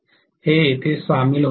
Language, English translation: Marathi, So this is getting joined here